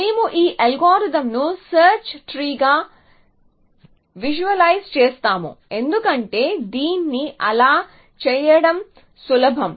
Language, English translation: Telugu, So, we will visualise this algorithm as a search tree because it is easier to do it like that